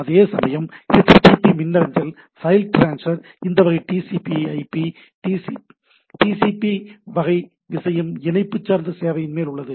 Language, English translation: Tamil, Whereas, HTTP email file transfer are over this type of TCP/IP, TCP type of thing connection oriented service